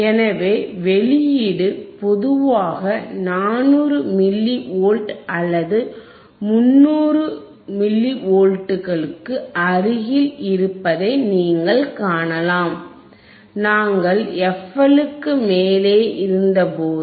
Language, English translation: Tamil, So, you could see the output generally it was close to 400 milli volts or 300 something milli volts, right